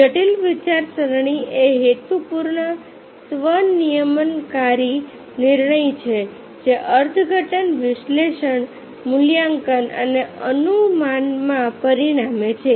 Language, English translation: Gujarati, critical thinking is the purposeful, self regulatory judgment which results in interpretation, analysis, evaluation and inference